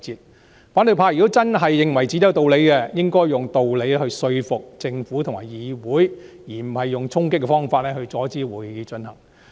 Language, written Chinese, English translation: Cantonese, 如果反對派真的認為自己有道理，就應該用道理說服政府和議會，而非用衝擊的方法，阻止會議進行。, If the opposition camp think they have grounds they should convince the Government and the Council with reasons instead of resorting to charging and storming to prevent the conduct of meetings